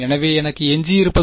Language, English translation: Tamil, So, what I am left with